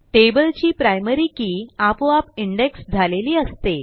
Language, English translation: Marathi, The primary key of a table is automatically indexed